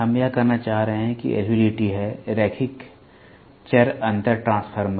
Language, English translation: Hindi, We are trying to say that there is a LVDT; Linear Variable Differential transformer